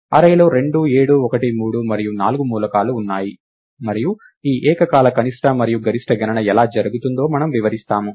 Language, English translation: Telugu, The array has elements 2 7 1 3 and 4, and we just illustrate how this simultaneous min and max calculation happens